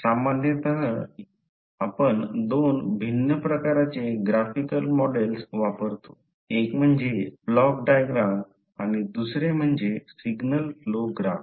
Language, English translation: Marathi, So, generally we use two different types of Graphical Models, one is Block diagram and another is signal pro graph